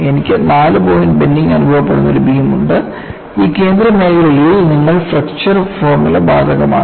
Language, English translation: Malayalam, I have a beam under 4 point bending, and in this central zone, your flexure formula is applicable